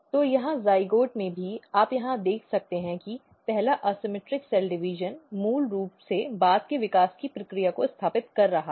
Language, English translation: Hindi, So, even in the zygote you can see here the first asymmetric cell division is basically establishing the process of later development